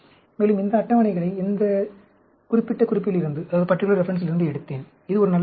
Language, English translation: Tamil, And, these tables, I took it from this particular reference; this is a good reference to look at